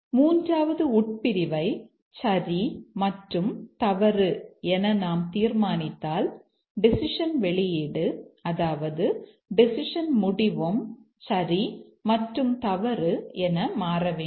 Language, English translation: Tamil, Then if we make this as true and false, the decision output, the decision outcome should also become true and false